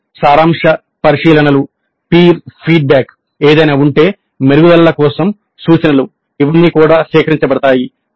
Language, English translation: Telugu, Then summary observations, peer feedback if any, suggestions for improvement, all these are also collected